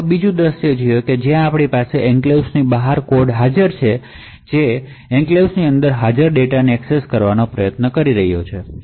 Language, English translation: Gujarati, So, let us see another scenario where you have code present outside the enclave trying to access data which is present inside the enclave